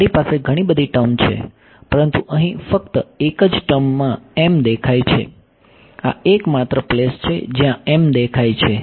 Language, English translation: Gujarati, I have so many terms, but m is appearing only in only one term over here, this is the only place where m appears right